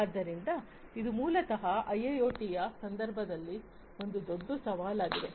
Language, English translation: Kannada, So, this basically is also a huge challenge in the context of IIoT